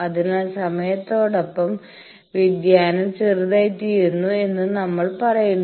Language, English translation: Malayalam, So, we say variation becomes smaller and smaller with time